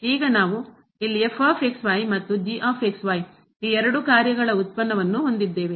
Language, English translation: Kannada, Now, we have the product here of the two functions into